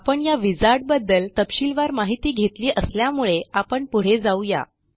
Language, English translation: Marathi, We have already gone through this wizard in detail, so we will proceed quickly with it now